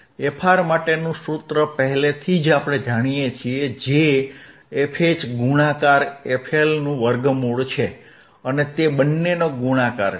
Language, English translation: Gujarati, We already know the formula for frR, frwhich is square root of fH into f L